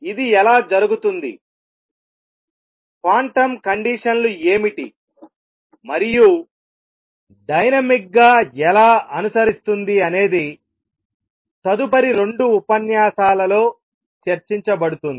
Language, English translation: Telugu, How it is done, what are the quantum conditions, and how it is the dynamic followed will be subject of next two lectures